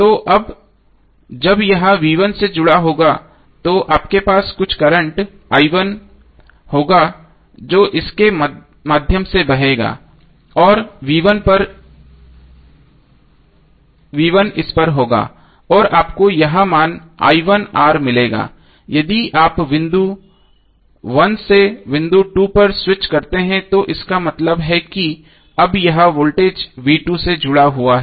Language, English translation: Hindi, So now when it is connected to V1 then you will have some current i1 flowing through it and the V1 will be across it and you will get I1 into R after getting this value if you switch over from point 1 to point 2 it means that now it is connected to voltage V2